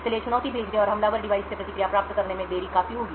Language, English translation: Hindi, Therefore, the delay between the sending the challenge and obtaining the response from an attacker device would be considerable